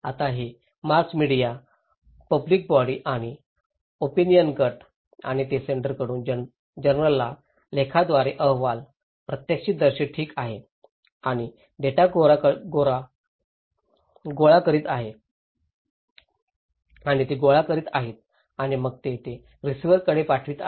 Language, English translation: Marathi, Now, this mass media public institutions and opinion groups and they are collecting data from the senders through journal articles from report, eyewitness okay and they are collecting and then they are passing it to the receivers